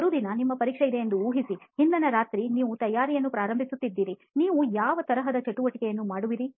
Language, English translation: Kannada, Imagine you have an exam the next day, the previous night you are starting your preparation, what all kind of activities that you do